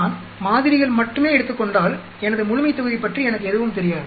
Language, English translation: Tamil, If I am taking only samples I do not have any idea about my population